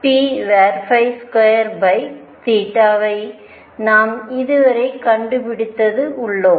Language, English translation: Tamil, As we have found this so far